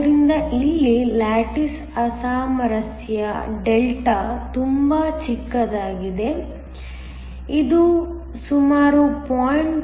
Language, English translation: Kannada, So, here the lattice mismatch Δ is much smaller, it is typical around 0